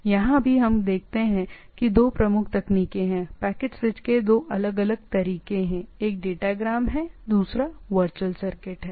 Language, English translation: Hindi, So again, here also what we see there are two predominant techniques or two different ways of packet switch: one is datagram, another is the virtual circuit